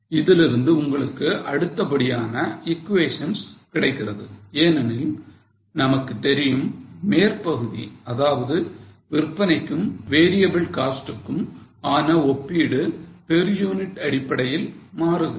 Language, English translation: Tamil, Now you can get further equations from this because we know that the upper portion that is comparison of sales and variable costs changes on per unit basis